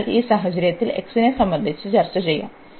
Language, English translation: Malayalam, So, in this case we will now discuss, now we will take first with respect to x